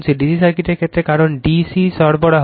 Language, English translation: Bengali, In the case of D C circuit, because in D C supply